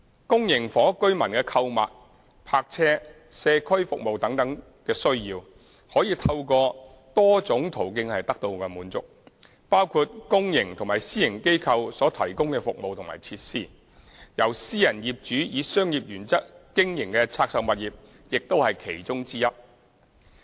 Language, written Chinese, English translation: Cantonese, 公營房屋居民的購物、泊車、社區服務等需要，可以透過多種途徑得到滿足，包括公營及私營機構所提供的服務和設施，由私人業主以商業原則經營的拆售物業亦是其中之一。, The needs of the residents of public housing for shopping carparking social services etc . can be fulfilled by multiple means including services and facilities provided by public and private organizations such as divested properties operated by private property owners in accordance with commercial principles